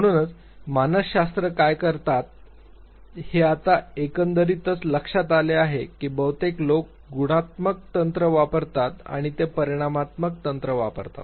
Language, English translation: Marathi, So, this is now overall what psychologists do and you would realize that mostly people use either qualitative techniques or they use quantitative techniques